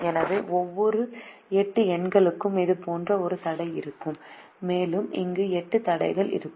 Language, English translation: Tamil, so like that, for each of the eight numbers there will be a constraint and there'll be eight constraints here